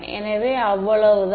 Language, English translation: Tamil, So, that is that is all there is